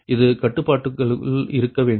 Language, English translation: Tamil, right, it has to be within the constraint